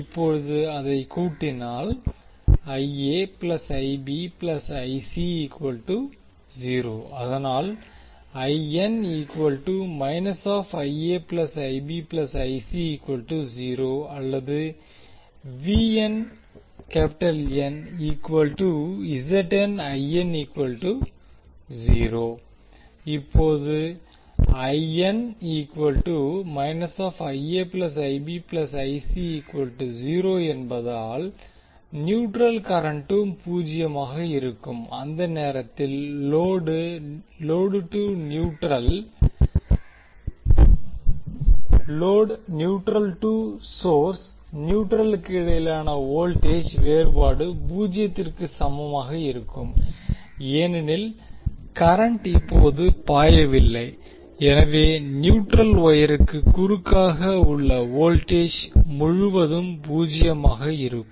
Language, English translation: Tamil, Now since IA plus IB plus IC is equal to zero, the neutral current will also be zero in that case the voltage difference between source neutral to load neutral will be equal to zero because there is no current flowing, so therefore the voltage across the neutral wire will be zero